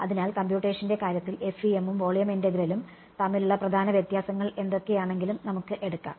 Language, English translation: Malayalam, So, let us take and whatever the main differences between FEM and volume integral in terms of computation